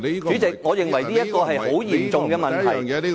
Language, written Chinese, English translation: Cantonese, 主席，我認為這是很嚴重的問題。, President I consider this arrangement has posed a very serious problem